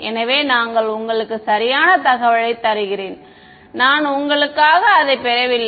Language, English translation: Tamil, So, I am just giving you information right I am not deriving it for you ok